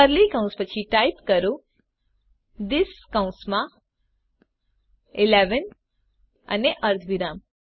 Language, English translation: Gujarati, After curly brackets type this within brackets 11 and semicolon